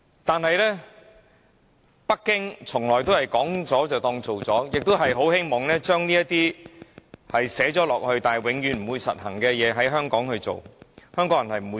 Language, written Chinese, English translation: Cantonese, 但是，北京從來都是說了便當做了，亦很希望將這些寫明但永遠不會實行的事項在香港落實。, However as to Beijing they always think that words spoken are actions taken and they do hope that these rights which have been explicitly laid down but will never be implemented to be implemented in Hong Kong